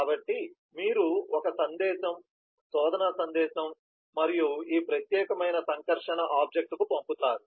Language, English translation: Telugu, so you send a message, a search message to this particular interacting object